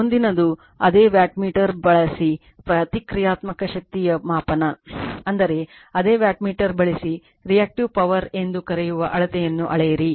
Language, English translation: Kannada, Next is the Measurement of Reactive Power using the same wattmeter , right, I mean , using the your same wattmeter you measure the your what you call the , your Reactive Power